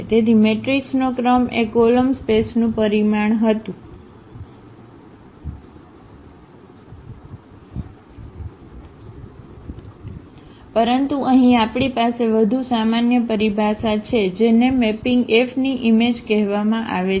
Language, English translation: Gujarati, So, the rank of the matrix was the dimension of the column space, but here we have the more general terminology that is called the image of the mapping F